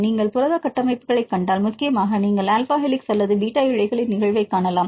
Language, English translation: Tamil, If you see protein structures, predominantly you can see the occurrence of alpha helices or beta strands